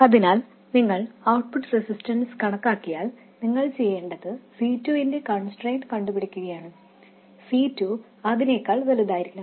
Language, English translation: Malayalam, So once you calculate the output resistance, all you have to do is calculate the constraint on C2 using this and C2 to be much larger than that one